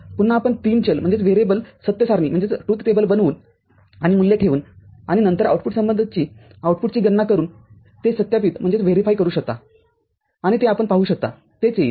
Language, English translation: Marathi, Again you can verify it by forming a three variable truth table and putting the values and then calculating the output corresponding output and you can see that that is what will arrive, you will arrive at